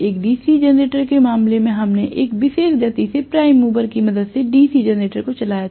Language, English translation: Hindi, In the case of a DC generator what we did was to run the DC generator with the help of a prime mover at a particular speed